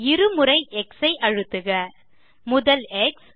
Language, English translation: Tamil, Press X twice